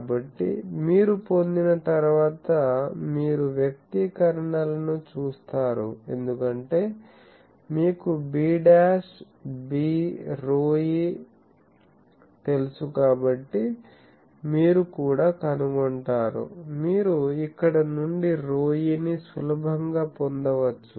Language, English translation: Telugu, So, once you get rho e you see the expressions, because since you know b dash b rho e also you find out, you can easily get P e from here